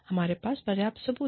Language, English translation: Hindi, We have enough proof